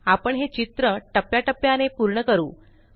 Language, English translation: Marathi, We shall complete this picture in stages